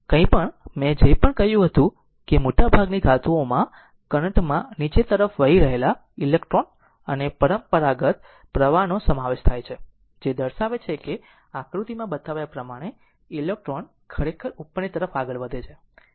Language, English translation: Gujarati, Whatever, whatever I said that in most of the metals right in most of the metal right, the current consist of electrons moving and conventional current flowing downwards your right represents that electrons actually moving upward right as shown in the diagram